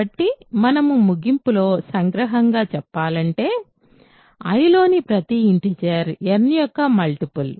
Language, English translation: Telugu, So, we conclude in conclusion, every integer in I is a multiple of n